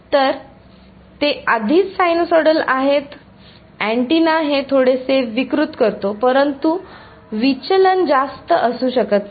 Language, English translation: Marathi, So, they are already sinusoidals the antenna distorts is a little bit, but the deviation may not be much